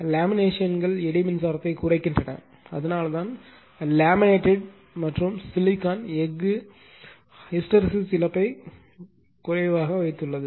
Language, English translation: Tamil, The laminations reducing actually eddy current that is why laminated and the silicon steel keeping hysteresis loss to a minimum, right